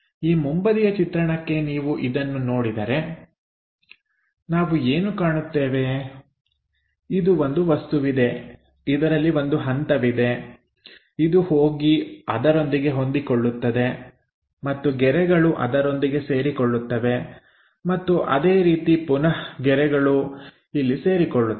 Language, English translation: Kannada, For this front view if you are looking at that what we are going to see is; this one as the object as a step and that goes maps via there comes there these lines coincides with that and again these lines will coincides in that way